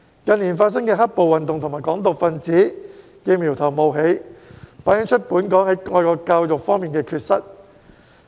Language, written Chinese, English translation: Cantonese, 近年發生的"黑暴"運動和"港獨"分子的苗頭冒起，反映本港在愛國教育方面的缺失。, The occurrence of black - clad riots and emergence of Hong Kong independence elements in recent years reflect Hong Kongs deficiency in patriotic education